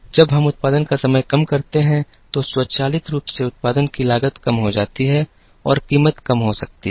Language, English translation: Hindi, When we bring down the time to produce, automatically the cost of production comes down and the price can be reduced